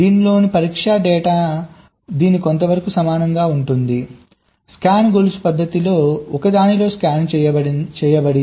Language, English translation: Telugu, this is somewhat very similar to this scan in one of the scan chain method